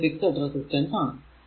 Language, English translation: Malayalam, So, this is a fixed resistance R